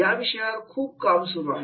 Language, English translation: Marathi, A lot of work has been done